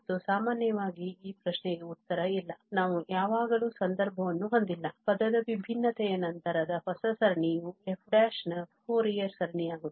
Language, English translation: Kannada, And in general, the answer to this question is no, that we do not have always the case that the new series after term by term differentiation becomes the Fourier series of f prime